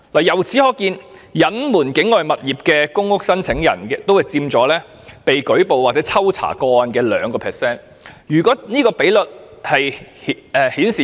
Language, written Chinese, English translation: Cantonese, 由此可見，隱瞞擁有境外物業的公屋申請宗數佔被抽查個案的 2%。, From this we can see that the number of cases involving the concealment of ownership of properties outside Hong Kong accounts for 2 % of the cases checked